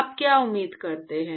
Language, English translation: Hindi, What do you expect